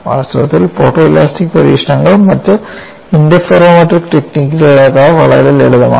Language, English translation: Malayalam, In fact, photo elastic experiments are much simpler to perform than other interferometric techniques